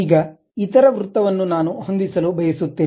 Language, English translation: Kannada, Now, the other circle I would like to adjust